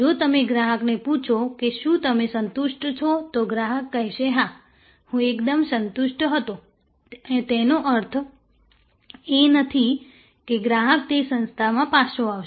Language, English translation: Gujarati, If you ask the customer that whether you satisfied, the customer might say yes, I was quite satisfied that does not mean that the customer will come back to that establishment